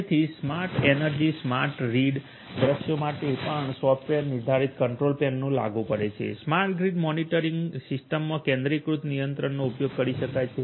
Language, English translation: Gujarati, So, software defined control plane is also applicable for smart energy, smart read scenarios, in smart grid monitoring systems one could be used using the centralized controller